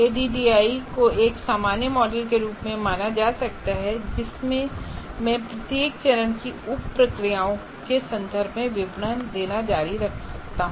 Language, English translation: Hindi, So if you stay with ADI can be considered as a general generic model into which I can keep on putting details in terms of sub processes of each phase